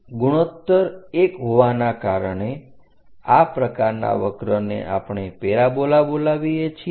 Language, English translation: Gujarati, Because the ratio is 1, such kind of curve what we call parabola